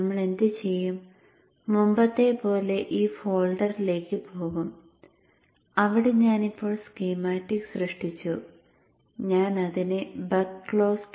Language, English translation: Malayalam, So what we will do like before we will go to this folder where I have now created the schematic and I'm naming it as a buck close